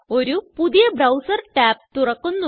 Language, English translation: Malayalam, Click on it A new browser tab opens